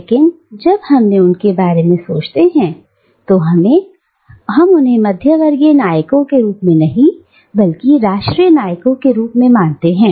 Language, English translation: Hindi, But, when we think about them, we do not conceive them as middle class heroes, but as national heroes